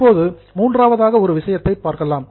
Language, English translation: Tamil, Now let us go to the third one